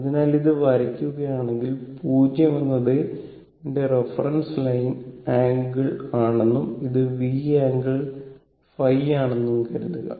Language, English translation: Malayalam, So, if you draw this so, if we make it suppose this is my I, this is my reference line angle in 0 when this my I, and this is V angle phi